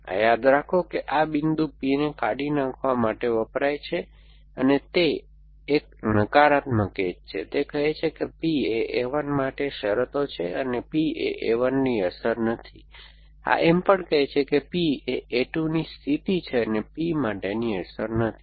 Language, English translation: Gujarati, So, this remember this dot stands for deleting P, it is a negative edge, it saying that P is a condition for a 1 and not P is a effect of a 1, this is also saying that P is condition of a 2 and not P is an effect for